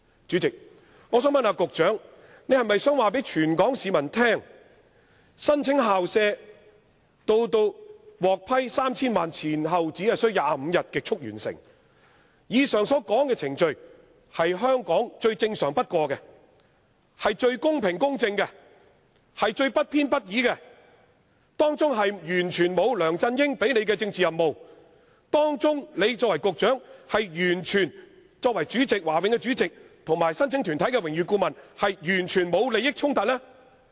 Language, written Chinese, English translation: Cantonese, 主席，我想問局長，他可否告訴全港市民，上述這項校舍申請，由提出至獲批 3,000 萬元，前後只需25天便極速完成，這程序在香港是最正常不過的、是最公平公正的，也是最不偏不倚的，當中完全不牽涉梁振英給予的政治任務，而他作為局長、華永會主席及申請團體的榮譽顧問亦完全沒有利益衝突？, President here is my supplementary question for the Secretary . Could he tell all Hong Kong people that the expedient approval of the above mentioned application for school premises which has taken only 25 days from submission to the approval of 30 million is the most normal course of action and also the fairest most just and impartial in Hong Kong and has nothing to do with LEUNG Chun - yings political mission; and that there is completely no conflict of interest even though he is the Secretary concerned Chairman of the Board and also Honorary Adviser of the organization applicant?